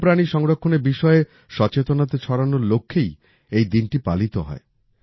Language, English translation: Bengali, This day is celebrated with the aim of spreading awareness on the conservation of wild animals